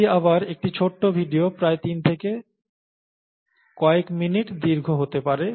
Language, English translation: Bengali, This is about again a short video, may be about three to for minutes long